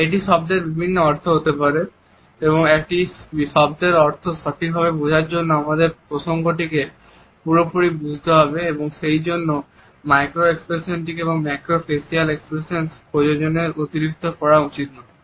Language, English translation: Bengali, A word can have different meanings and in order to place the meaning of a word properly we also have to understand the context completely and therefore, we should not over read as far as micro expressions or other macro facial expressions are concerned